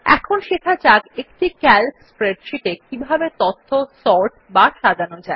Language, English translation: Bengali, Let us now learn how to Sort data in a Calc spreadsheet